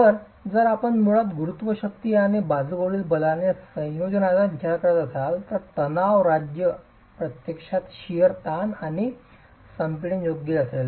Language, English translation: Marathi, So, if you're basically considering a combination of gravity forces and lateral forces, the state of stress is actually going to be that of shear stresses and compression